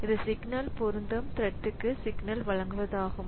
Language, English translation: Tamil, So this is delivered the signal to the thread to which signal applies